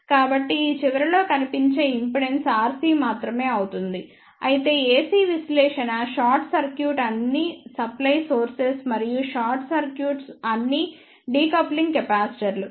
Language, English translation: Telugu, So, the impedance seen at this end will be only R C however, in case of AC analysis we short circuit all the supply sources and short circuit all the decoupling capacitors